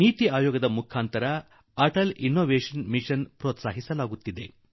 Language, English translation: Kannada, This Mission is being promoted by the Niti Aayog